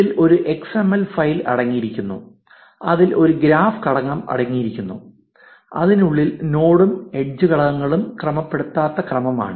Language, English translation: Malayalam, It consists of an xml file containing a graph element within which is an unordered sequence of node and edge elements